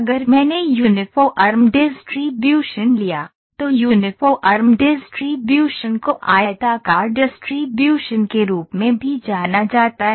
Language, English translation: Hindi, If I took Uniform Distribution, Uniform Distribution you know that Uniform Distribution is the kind of its also known as Rectangular Distribution